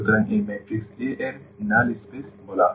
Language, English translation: Bengali, So, this is called the null space of the matrix A